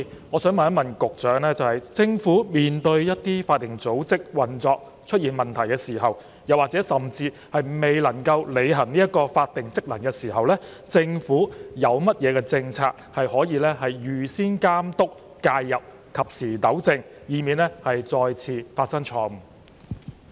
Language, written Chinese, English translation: Cantonese, 我想問局長，當一些法定組織的運作出現問題，甚至未能履行其法定職能的時候，政府有何政策可以預先監督、介入、及時糾正，以免再次出錯？, May I ask the Secretary when a statutory body encounters a problem in its operation and even fails to perform its statutory functions what policy does the Government have in place to facilitate advance supervision intervention and timely rectification to prevent the occurrence of any more mistakes?